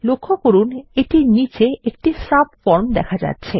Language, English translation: Bengali, Notice it also shows a subform at the bottom